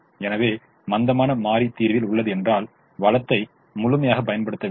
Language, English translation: Tamil, so slack variable is in the solution means the resource is fully not utilized